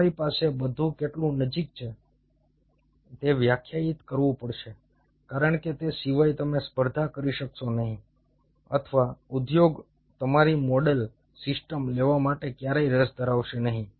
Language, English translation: Gujarati, you have to have everything defined, how close you are, because other than that you wont be able to compete or the industry will never be interested to take your model systems